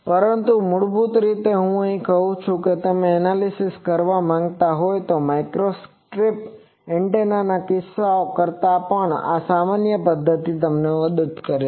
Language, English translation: Gujarati, But basically I say that if you want to do the analysis this generalized method helps you even in these cases of microstrip antennas